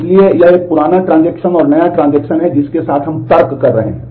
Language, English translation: Hindi, So, it is a older transaction and newer transition that we are reasoning with